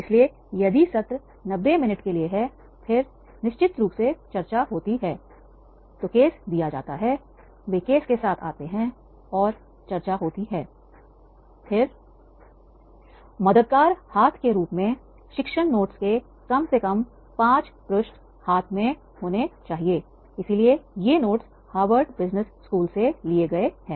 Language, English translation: Hindi, So therefore if the session is for the 90 minutes and then definitely the discussion, the case is given, they come with the case, the case has been discussed and then the helping hand as a teaching notes, there should be at least the five pages